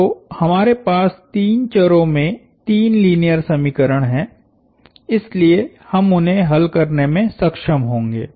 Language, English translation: Hindi, So, we have three linear equations in three variables, so we are going to be able to solve them